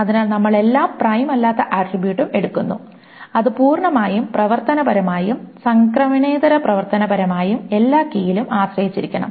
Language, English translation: Malayalam, So we take every non prime attribute and it must be both fully functionally dependent and non transidentively function dependent on every key